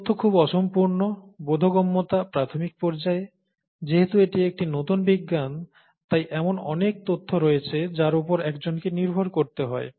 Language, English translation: Bengali, Information is highly incomplete, understanding is rudimentary, and since it is a new science, there’s a lot of information that one needs to rely on